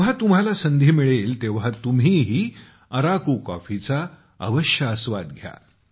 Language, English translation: Marathi, Whenever you get a chance, you must enjoy Araku coffee